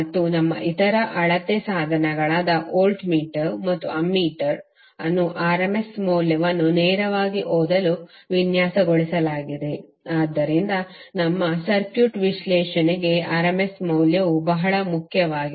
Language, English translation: Kannada, And our other measuring instruments like voltmeter and ammeter are designed to read the rms value directly, so that’s why the rms value is very important for our circuit analysis